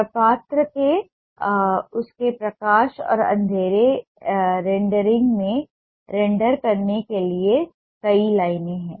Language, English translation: Hindi, there are multiple lines to render the form into its lighten, dark ah rendering